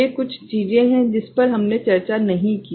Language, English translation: Hindi, These are certain things, we did not do, did not discuss